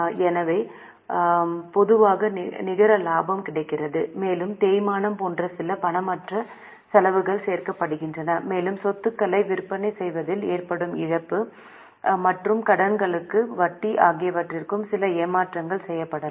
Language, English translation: Tamil, So, normally net profit is available plus some non cash operating, non cash expenses like depreciation are added and some adjustments may be made for loss on sale of assets and interest on debts